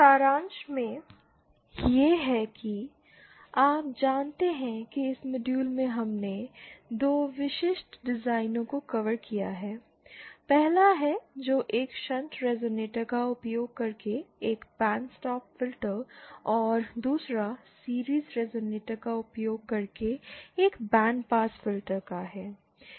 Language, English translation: Hindi, In summary, this is how, you know in this module we covered 2 specific designs, the 1st one being that of a band stop filter using a shunt resonator and the 2nd one of a band pass filter using a series resonator